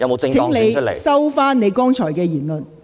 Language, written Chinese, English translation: Cantonese, 請你收回你剛才的言論。, Please withdraw the remarks that you have just made